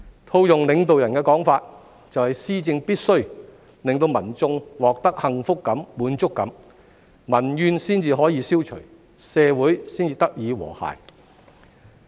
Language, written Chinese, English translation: Cantonese, 套用領導人的說法，就是施政必須令民眾獲得幸福感、滿足感，民怨才得以消除，社會才得以和諧。, To paraphrase the remarks made by our State leader it is a must that policy implementation gives people a sense of happiness and contentment in order to eliminate peoples grievances while achieving social harmony